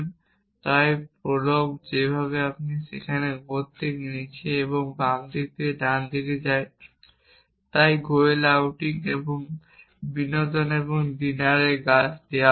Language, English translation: Bengali, And so the way prolog does is there it goes from top to down and left to right so given trees of goel outing and entertainment and dinner